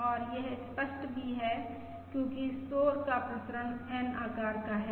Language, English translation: Hindi, And that is also clear because the noise variance is of size N